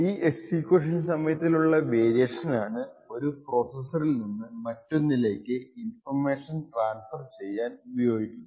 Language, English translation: Malayalam, This variation in execution time was used to actually transfer information from one process to another